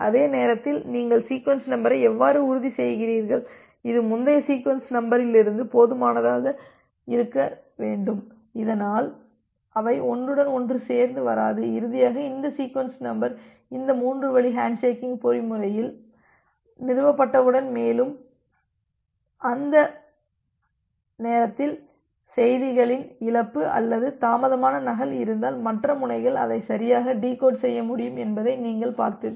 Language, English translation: Tamil, And at the same time, you are ensuring the sequence number in such a way, it should be higher enough from the previous sequence number, so that they do not get overlap and finally, once this sequence number is established to this three way handshaking mechanism and, during that time you have seen that if there is a loss or a delayed duplicate of the messages, the other ends will be able to correctly decode that